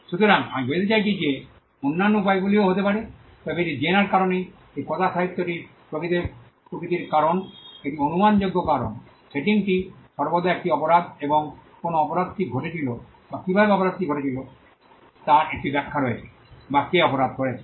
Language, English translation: Bengali, So, I mean there could be other ways of this, but it is this genre this group of fiction is predictable by it is nature because, the setting is always a crime and there is an explanation of why the crime happened or how the crime happened or who did the crime